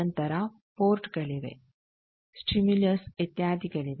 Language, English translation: Kannada, Then there are ports, there are stimulus etcetera